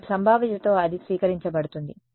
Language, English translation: Telugu, And with probability one it will be received